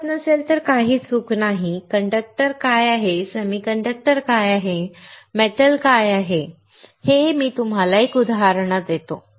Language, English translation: Marathi, It is nothing wrong if you do not recall; what is conductor, what is semiconductor, what is metal; all right, I will give you an example